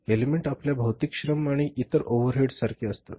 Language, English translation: Marathi, Elements are like your material labor and other overheads